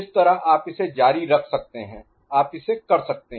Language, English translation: Hindi, So, this way you will continue, you can work it out